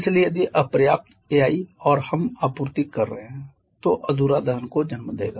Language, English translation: Hindi, So, if insufficient air we are supplying then that will lead to incomplete combustion